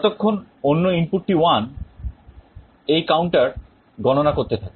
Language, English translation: Bengali, As long as the other input is 1, this counter will go on counting